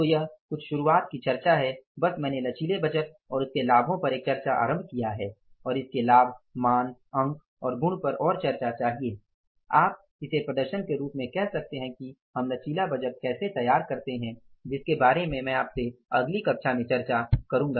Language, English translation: Hindi, So, this is something the beginning discussion, just that discussion I have initiated on the flexible budgets and their positive say values, points and properties and remaining further more discussion with some say you can call it as exhibits that how we go for the preparation of the flexible budget that I will discuss with you in the next class